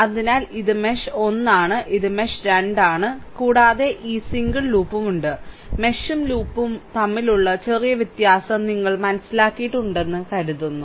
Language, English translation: Malayalam, So, this is mesh 1, this is mesh 2 and you have this single loop, hope you have understood the slight difference between mesh and loop, right